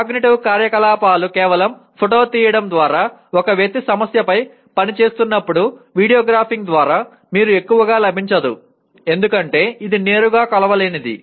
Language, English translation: Telugu, But where cognitive activity is involved by merely photographing, by video graphing when a person is working on a problem does not get you very much because it is not directly measurable